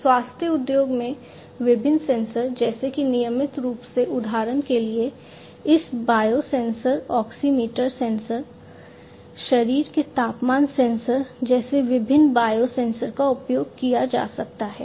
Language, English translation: Hindi, Health care: in healthcare industry as well different sensors, such as the regular ones for example, different biosensors like you know this pulse oximeter sensor, body temperature sensors could be used